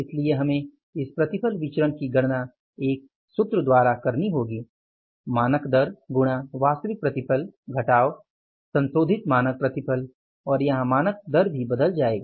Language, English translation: Hindi, So, we have to calculate this yield variance by a formula standard rate into actual yield minus revised standard yield and in this case the standard rate will also change